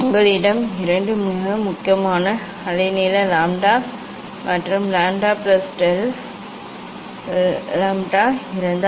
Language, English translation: Tamil, That if you have two very close wavelength lambda and lambda plus del lambda